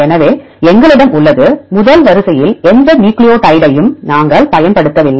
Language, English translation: Tamil, So, we have; we did not use any nucleotide in the first sequence